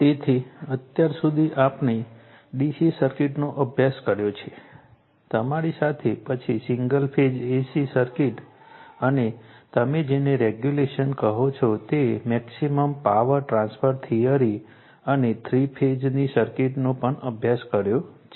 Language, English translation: Gujarati, So, far we have studied DC circuit, then single phase AC circuits along with you your what you call that regulance as well as your maximum power transfer theory you have seen, and also the three phase circuits